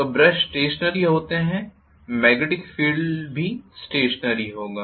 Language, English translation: Hindi, So brushes are stationary the magnetic field will also be stationary